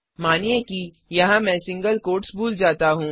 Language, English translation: Hindi, Suppose here I will miss the single quotes